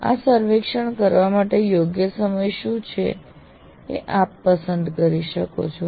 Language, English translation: Gujarati, One can do you can choose what is the appropriate time to take this survey